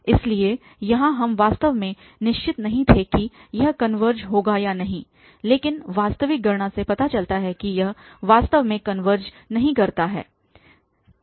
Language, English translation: Hindi, So, here we were not sure actually whether it will converge or it will not converge but actual computation shows that it actually does not converge